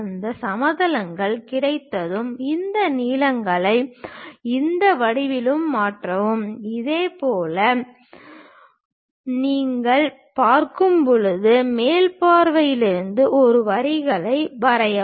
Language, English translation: Tamil, Once this planes are available, transfer these lengths onto this geometry, similarly from the top view when you are looking at it drop these lines